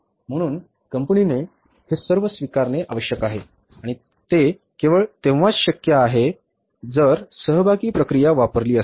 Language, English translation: Marathi, So, acceptance has to be insured by the company and that is only possible that if it is with the participative process